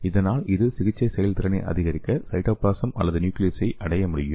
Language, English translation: Tamil, And it can escape from lysosomes and it can reach the cytoplasm or the nucleus to increase the therapeutic efficiency